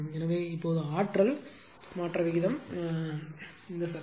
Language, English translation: Tamil, So, now rate of change of energy is power